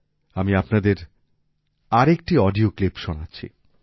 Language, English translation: Bengali, Let me play to you one more audio clip